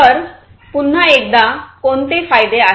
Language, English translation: Marathi, So, what are the benefits once again